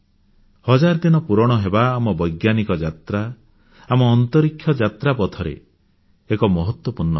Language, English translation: Odia, The completion of one thousand days, is an important milestone in our scientific journey, our space odyssey